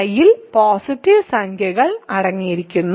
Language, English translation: Malayalam, So, I contains a positive integer